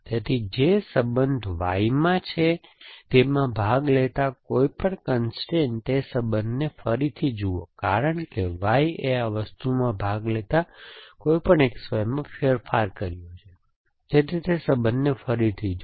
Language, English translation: Gujarati, So, therefore any constraint participating in relation in which Y is there, look at that relation again because Y has change any X Y participating in this thing, so look at that relation again